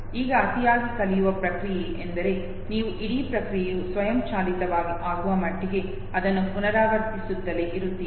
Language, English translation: Kannada, Now the process of over learning basically means that you keep on keep on keep on repeating it to an extent that the whole process becomes automated, okay